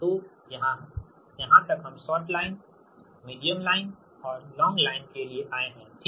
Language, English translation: Hindi, so up to this we have come for short line, medium line and long line, right